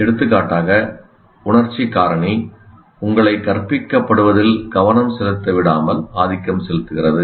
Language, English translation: Tamil, For example, emotional factor can influence you not to pay attention to what is being taught